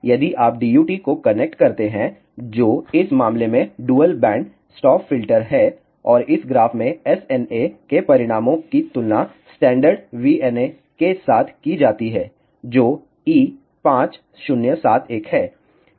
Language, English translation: Hindi, If you connect the DUT which is ah dual band band stop filter in this case and in this graph the SNA results are compared with a standard VNA, which is E 5071